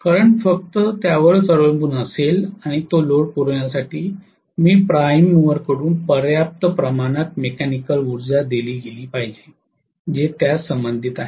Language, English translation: Marathi, The current will only depend upon that and to supply that load I should have given sufficient amount of mechanical power from the prime mover that is all it is related to